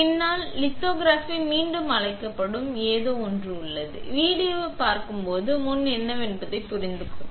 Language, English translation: Tamil, There is something called front to back lithography, once we look at the video will be understanding what is front to back